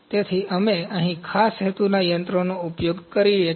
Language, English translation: Gujarati, So, we use special purpose machines here